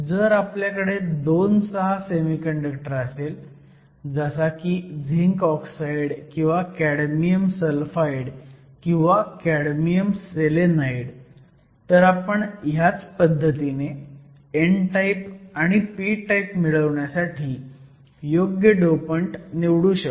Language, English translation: Marathi, If you have a II VI semi conductor something like zinc oxide or cadmium sulphide or cadmium selenide, similarly we can choose appropriate dopants to get both n type and p type